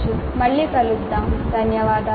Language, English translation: Telugu, Thank you and we will meet again